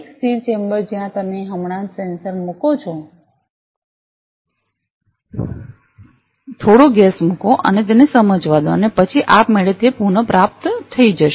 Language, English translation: Gujarati, A static chamber where you just put the sensor put some gas and allow it to sense and then automatically it gets recovered